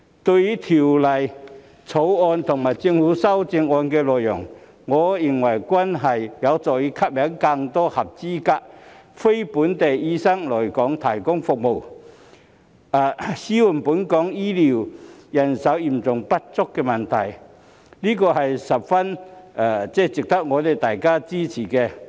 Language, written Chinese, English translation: Cantonese, 對於《條例草案》和政府的修正案的內容，我認為均有助吸引更多合資格非本地醫生來港提供服務，紓緩本港醫療人手嚴重不足的問題，十分值得大家支持。, Regarding the contents of the Bill and the Governments amendments I think they will help attract more qualified NLTDs to provide services and alleviate the acute manpower shortage of doctors in Hong Kong which are worthy of our support